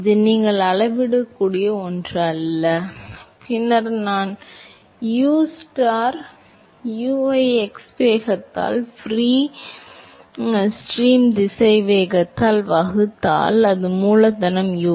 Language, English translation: Tamil, It is not something that you can measure and then I scale ustar u as the x component velocity divided by the free stream velocity, it is capital U